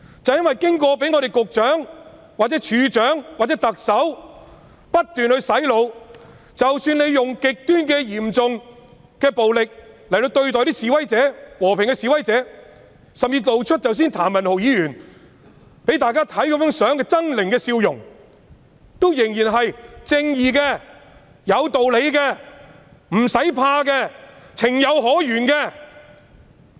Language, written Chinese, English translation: Cantonese, 因為警員被局長、處長或特首不斷洗腦，令他們認為即使使用極端嚴重暴力對待和平示威者，甚至如譚文豪議員剛才展示的相片般露出猙獰的笑容，他們仍然是正義的、有道理的、無需害怕的，是情有可原的。, With the continual brain - washing effort made by the Secretary the Commissioner and the Chief Executive police officers believe their use of extreme and severe violence against peaceful protesters even to the extent of grinning hideously as shown in the photo presented by Mr Jeremy TAM earlier is righteous and justified and they do not have to fear for it is understandable